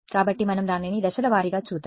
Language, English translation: Telugu, So, let us go over it step by step ok